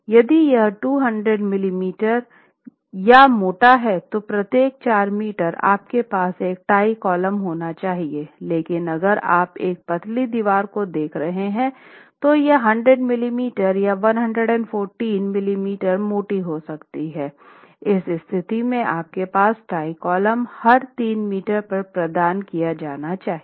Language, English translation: Hindi, If it's 200 m m or thicker, every four meters you should have a tie column, but if you are looking at a thinner wall, if you are looking at a 100 m m or 114 m m thick wall, then you are looking at tie columns that must be provided every 3 meters center to center